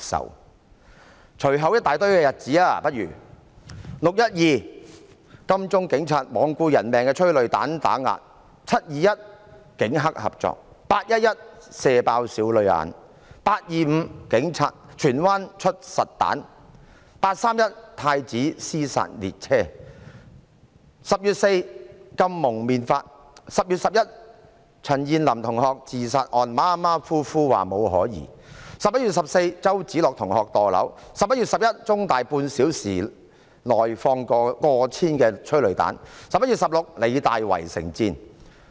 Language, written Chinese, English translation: Cantonese, 讓我列舉以下一大堆日子："六一二"，警察在金鐘罔顧人命，發放催淚彈打壓市民；"七二一"，警黑合作；"八一一"，"射爆少女眼"；"八二五"，警察在荃灣發射實彈；"八三一"，太子"屍殺列車 "；10 月4日，訂立《禁止蒙面規例》；10 月11日，對於陳彥霖同學的自殺案，馬馬虎虎地說沒有可疑 ；11 月14日，周梓樂同學墮樓 ；11 月11日，在香港中文大學半小時內發放過千枚催淚彈 ；11 月16日，香港理工大學圍城戰。, It is in fact unacceptable to the public . Let me cite the following series of dates on 12 June police officers disregarding peoples lives fired tear gas to oppress the people in Admiralty; on 21 July the Police collaborated with triad members; on 11 August a young woman was shot in the eye; on 25 August a police officer fired live ammunition in Tsuen Wan; on 31 August there was the train of horror in Prince Edward; on 4 October the Prohibition on Face Covering Regulation was introduced; on 11 October regarding student CHAN Yin - lams suicide case it was concluded sloppily that there was no suspicion; on 14 November student Alex CHOW fell from height; on 11 November over 1 000 tear gas canisters were fired within half an hour in The Chinese University of Hong Kong; and on 16 November the battle of besiegement broke out in The Hong Kong Polytechnic University